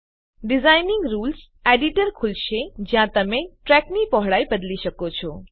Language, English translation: Gujarati, Design Rules Editor will open where you can change the track width